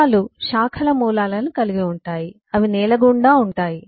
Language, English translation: Telugu, there has to be roots that go into the ground